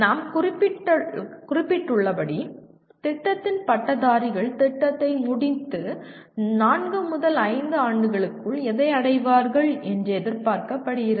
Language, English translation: Tamil, As we mentioned, what the graduates of the program are expected to achieve within four to five years of completing the program